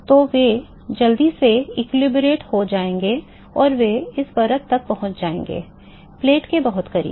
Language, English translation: Hindi, So, they will quickly equilibrate and they will reach the suppose this is the layer, very close to next to the plate